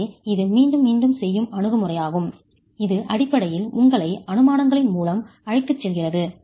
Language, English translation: Tamil, So, that's the iterative approach which is basically taking you through a set of assumptions